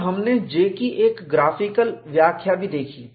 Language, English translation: Hindi, And we also saw a graphical interpretation of J